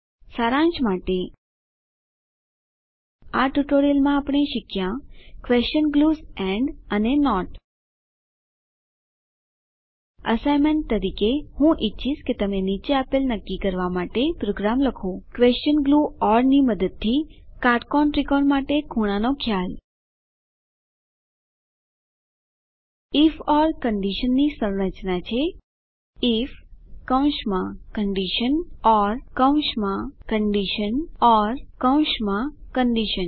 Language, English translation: Gujarati, Lets summarize In this tutorial we have learnt, the question glues and not As an assignment, I would like you to write program to determine Angle concept for right angled triangle using question glue or Structure of if or condition is: if within brackets condition or within brackets condition or within brackets condition